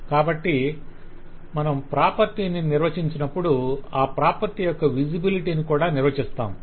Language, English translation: Telugu, So as we define the property, we also define the visibility of that property